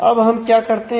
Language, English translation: Hindi, Now, what do we do